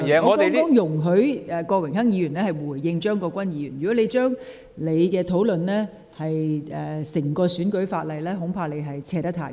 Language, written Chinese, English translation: Cantonese, 我剛才容許郭榮鏗議員回應張國鈞議員的發言，但若你論及整體選舉法例，恐怕說得太遠。, While I have allowed Mr Dennis KWOK to respond to Mr CHEUNG Kwok - kwans speech just now I am afraid you will be straying too far if you speak on the entire electoral law